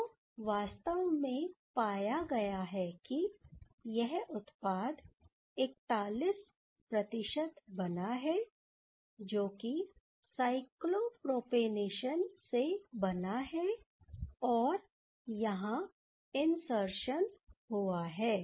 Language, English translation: Hindi, So, what has been actually found that there is actually this product formed in 41% that is the cyclopropanation one, where this insertion happened